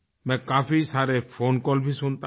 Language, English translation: Hindi, I listen to many phone calls too